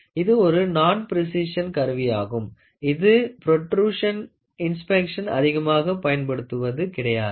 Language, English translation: Tamil, This non precision instrument is rarely used in any kind of production inspection